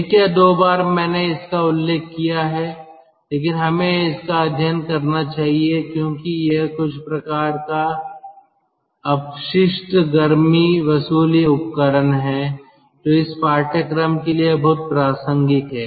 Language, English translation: Hindi, once or twice i have mentioned it, but let us study because this is some sort of waste heat recovery device which is ah very relevant for this course